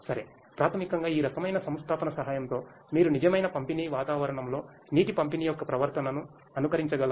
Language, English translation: Telugu, Alright and so, basically with the help of this kind of installation, you are able to emulate the behavior of water distribution in a reals real kind of environment